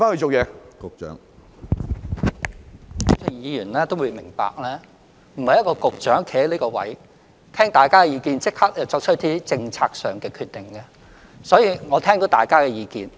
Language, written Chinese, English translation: Cantonese, 主席，議員也會明白，一位局長站在這個位置聽過大家的意見後，並不是立即便作出一些政策上的決定，我聽到大家的意見。, President Members would understand that a Director of Bureau who stands here listening to Members views cannot make any policy decision on the spot . I have heard Members views